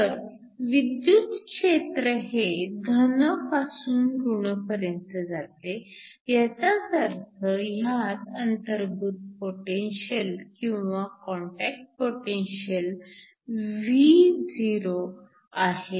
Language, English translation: Marathi, So, the electric field goes from positive to negative which means there is a built in potential or a contact potential Vo